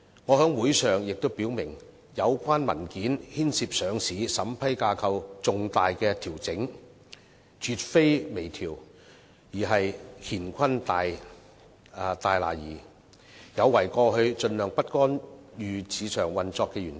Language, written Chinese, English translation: Cantonese, 我在會上表明有關文件牽涉上市審批架構的重大調整，絕非微調，而是乾坤大挪移，有違過去盡量不干預市場運作的原則。, I said in the meeting that the relevant papers involved significant adjustment of the listing approval regime that they were definitely not fine - tuning but radical changes . I said that it was a move violating the laissez faire principle of the past